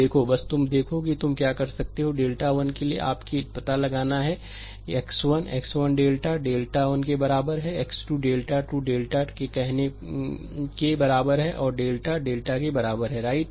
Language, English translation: Hindi, Look ah just just you look that what you can do is for delta 1, for you have to find out x 1; x 1 is equal to say delta 1 upon delta, x 2 is equal to say delta 2 by delta and x n is equal to your delta n by delta, right